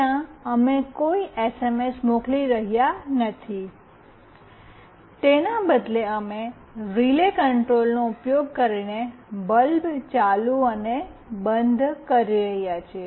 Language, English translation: Gujarati, There we are not sending any SMS, rather we are just switching ON and OFF a bulb using relay control